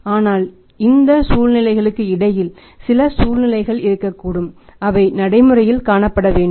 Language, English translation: Tamil, But there can be in between situations also which have to be practically seen